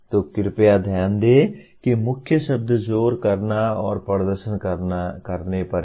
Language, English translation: Hindi, So please note that the key words the emphasis is on doing and performing